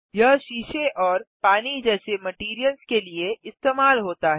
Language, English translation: Hindi, This is used for materials like glass and water